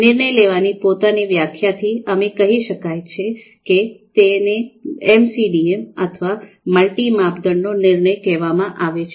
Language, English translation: Gujarati, So from the definition of decision making itself, we get this feel of the multi criteria and why it is called MCDM, multi criteria decision making